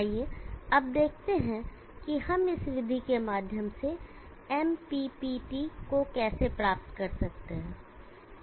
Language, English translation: Hindi, Let us now see how we go about achieving MPPT all through this method